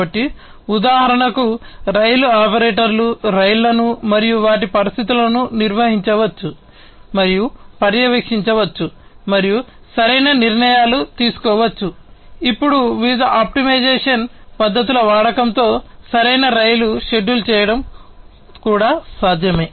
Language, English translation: Telugu, So, therefore, for example, the rail operator can maintain, and monitor the trains and their conditions, and make optimal decisions, it is also now possible to have optimal train scheduling with the use of different optimization techniques